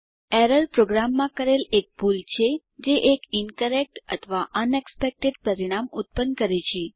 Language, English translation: Gujarati, Error is a mistake in a program that produces an incorrect or unexpected result